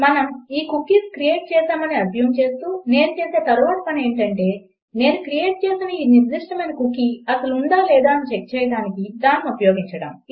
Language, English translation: Telugu, So assuming that we have created these cookies, the next thing Ill do is use this specific cookie here that I have created, to check whether it does exist or not